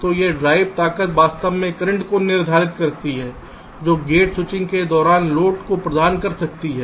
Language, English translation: Hindi, ok, so this drive strength actually determines the current which the gate can provide to the load during switching